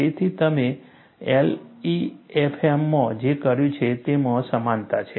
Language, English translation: Gujarati, So, there is similarity between what you have done in LEFM